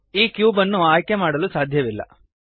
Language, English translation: Kannada, The cube cannot be selected